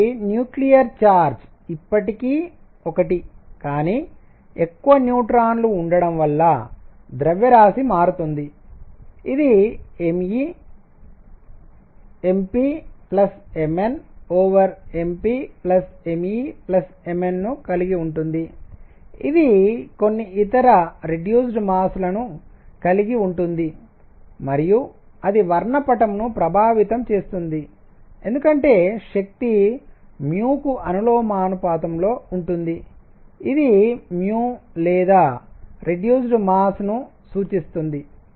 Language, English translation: Telugu, So, the nuclear charge is still 1, but they are more neutrons and therefore, mass changes this would have a reduced mass of m e m proton divided by m e plus m proton, this would have a reduced mass of m e times m proton plus m neutron divided by m proton plus m neutron plus m e and this would have some other reduced mass and that would affect the spectrum because energy is proportional to the mu this is by the way denoted mu or the reduced mass